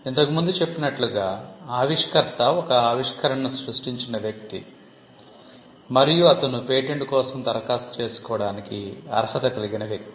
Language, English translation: Telugu, As we mentioned, the inventor is the person who creates the invention and he is the person who is entitled to apply for a patent